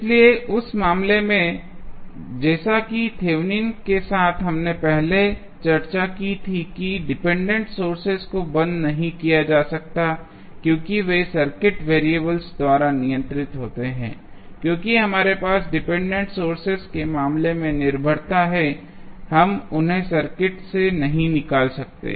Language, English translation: Hindi, So, in that case, the as with the Thevenin's we discussed previously the Independent sources cannot be turned off as they are controlled by the circuit variables, since we have the dependency in the case of dependent sources, we cannot remove them from the circuit and we analyze the circuit for Norton's equivalent by keeping the dependent sources connected to the circuit